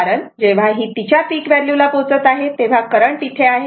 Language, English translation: Marathi, Because when when ah your it is reaching peak value current is here